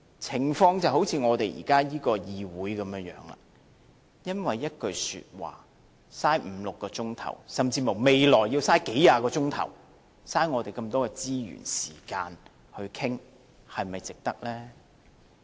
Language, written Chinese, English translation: Cantonese, 情況就像現在這個議會般，因為一句說話，花五六個小時，甚至乎未來要花數十小時，浪費我們這麼多資源、時間去討論，是否值得呢？, The situation is liked this Council now spending five or six hours or even likely to spend several tens of hours in the future for just one single sentence wasting so much resources and time to discuss is it worthwhile?